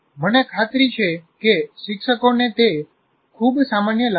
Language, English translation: Gujarati, I'm sure that teachers find it very common